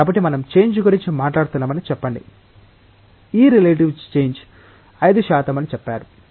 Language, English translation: Telugu, So, let us say that we are talking about a change; this relative change say 5 percent